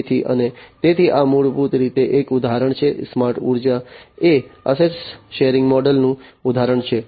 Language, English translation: Gujarati, So, and so this is basically an example smart energy is an example of asset sharing model